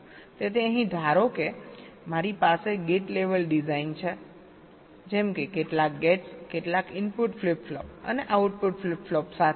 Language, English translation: Gujarati, so here, suppose i have a gate level design like this: some gates with some input flip flops and output flip flop